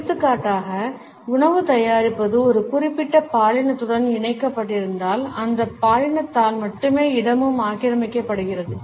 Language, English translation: Tamil, For example, if the preparation of food is linked with a particular gender the space is also occupied by that gender only